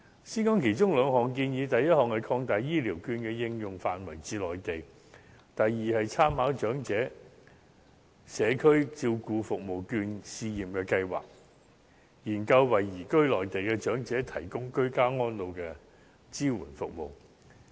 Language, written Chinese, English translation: Cantonese, 先說其中兩項建議，第一項，擴大醫療券的應用範圍至內地；第二，參考長者社區照顧服務券試驗計劃，研究為移居內地的長者提供居家安老支援服務。, Let us begin with two of these suggestions . First extending the application scope of Health Care Vouchers to the Mainland . Second drawing reference from the Pilot Scheme on Community Care Service Voucher for the Elderly and conducting a study on providing elderly persons who have moved to the Mainland with support services for ageing in place